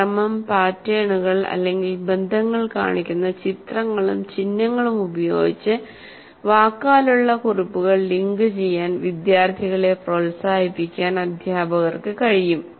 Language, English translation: Malayalam, Teachers can encourage students to link verbal notes with images and symbols that show sequence, patterns, or relationship